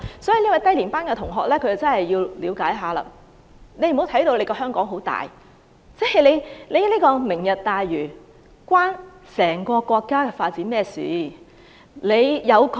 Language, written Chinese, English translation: Cantonese, 這位低年班同學真的要了解一下，不要把香港看得很大，"明日大嶼"與整個國家的發展有何關係？, This junior student should really have a better understanding of the situation and stop assuming that Hong Kong is very important . What is the relationship between Lantau Tomorrow and the development of the whole country?